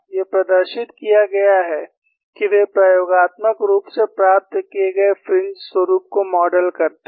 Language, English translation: Hindi, These have been demonstrated that, they model the experimentally obtained fringe patterns